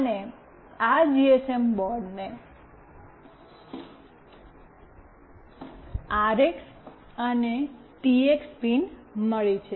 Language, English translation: Gujarati, And this GSM board has got RX and TX pins